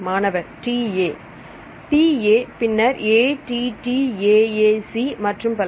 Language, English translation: Tamil, Then TA, then ATTAA C, and so on